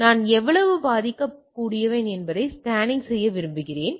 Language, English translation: Tamil, So, I want to scan that how vulnerable I am